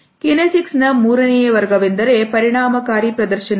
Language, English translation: Kannada, The third category of kinesics is effective displays